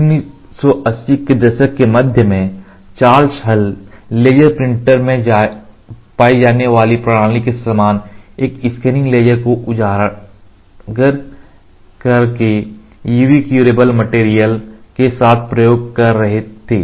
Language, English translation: Hindi, In the mid 1980s, Charles Hull was experimenting with UV curable material by exposing them to a scanning laser similar to the system found in the laser printer